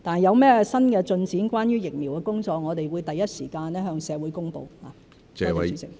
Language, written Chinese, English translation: Cantonese, 有任何關於疫苗工作的新進展，我們會第一時間向社會公布。, Should there be any new progress with the vaccines we will make announcements to society at once